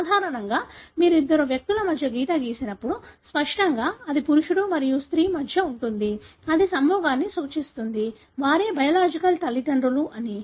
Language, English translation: Telugu, Normally when you draw a line between two individuals, obviously it would be between a male and a female, that represents the mating; that they are the biological parents